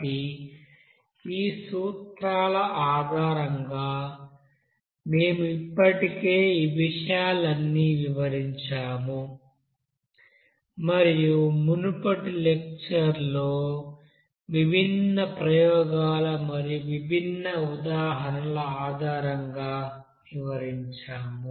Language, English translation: Telugu, So based on these principles we have already described all these things and analyzed based on different experiments and different examples there in the previous lecture